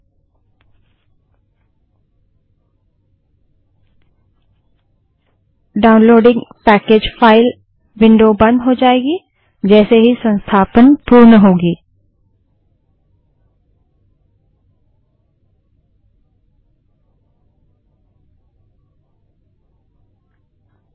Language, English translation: Hindi, Downloading Package File window will be closed as soon as the installation gets completed